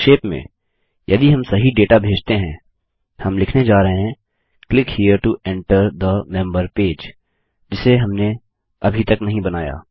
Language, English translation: Hindi, As long as we send the right data were going to say Click here to enter the member page which we havent created yet